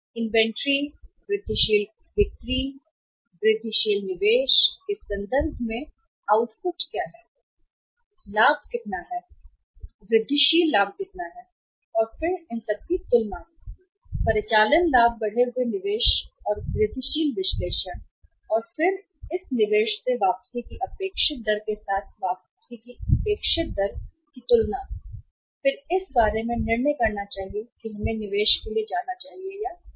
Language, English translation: Hindi, What is the output of that incremental investment in the inventory, incremental sales and in terms of the profit how much incremental profit and then the comparison of the two; operating profits comparison with the increased investment or incremental analysis and then the comparison of the expected rate of return from this investment with the required rate of return and then taking a decision about whether we should go for this investment or not right